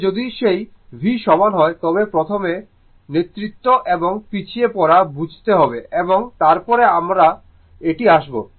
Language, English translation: Bengali, That if you take that v is equal to, first we have to understand leading and lagging and then will come to this